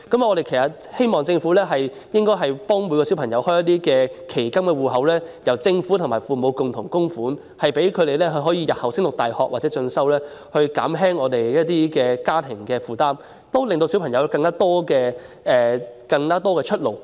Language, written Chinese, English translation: Cantonese, 我們希望政府幫助所有學童開設期金戶口，由政府和父母共同供款，用於子女日後升讀大學或進修，減輕家庭負擔，也令學童有更多出路。, We hope that the Government will help all students open futures accounts with contributions to be jointly made by the Government and parents . The money may be used to meet the expenses on university education or further study in the future to reduce the burden on families and provide students with more pathways